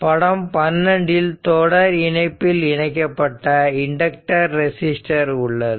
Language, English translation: Tamil, So, this figure 12 shows the series connection of a resistor and inductor